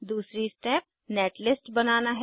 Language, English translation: Hindi, Second step is to generate netlist